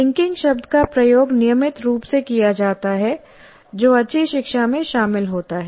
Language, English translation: Hindi, So the word linking is constantly used that is involved in good learning